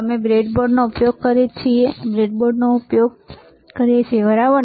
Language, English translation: Gujarati, We are using breadboard, we are using breadboard, all right